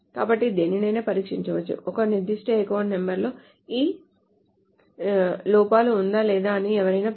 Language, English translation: Telugu, So one can test whether a particular account number is within this or whatever